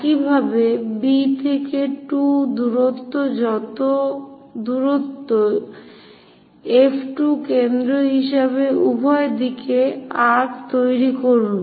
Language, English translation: Bengali, Similarly, from B to 2 distance whatever the distance F 2 as centre make an arc on both sides